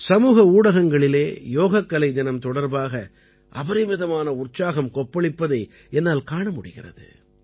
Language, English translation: Tamil, I see that even on social media, there is tremendous enthusiasm about Yoga Day